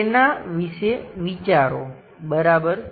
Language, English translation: Gujarati, Think about it ok